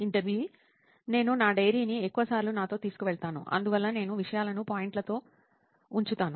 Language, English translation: Telugu, I do carry my diary with me most of the time and so I jot things down in points